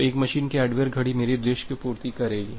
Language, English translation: Hindi, So, the hardware clock of a single machine will serve my purpose